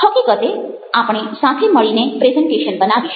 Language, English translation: Gujarati, we will in fact do presentations together